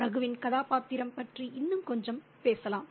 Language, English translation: Tamil, And let's talk a bit more about Ragu's character